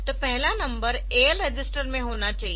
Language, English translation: Hindi, So, the first number should be in the AL register